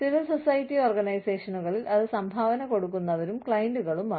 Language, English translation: Malayalam, In civil society organizations, it is donors and clients